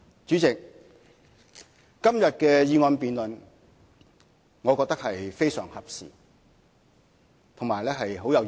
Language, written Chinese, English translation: Cantonese, 主席，今天的議案辯論我覺得非常合時，亦很有意義。, President todays motion debate is timely and very meaningful